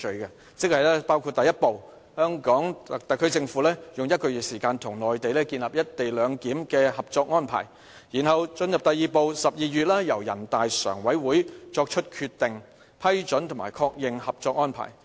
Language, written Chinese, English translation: Cantonese, "三步走"包括第一步，香港特區政府用1個月時間與內地建立"一地兩檢"的《合作安排》，然後進入第二步 ，12 月由人大常委會作出決定、批准及確認《合作安排》。, Step One of the Three - step Process is for the Mainland and the HKSAR to reach a Co - operation Arrangement in relation to the implementation of the co - location arrangement in one month . It will then proceed to Step Two for NPCSC to approve and endorse the Co - operation Arrangement by making a Decision in December